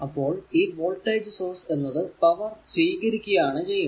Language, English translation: Malayalam, So, it will be power absorbed by the voltage source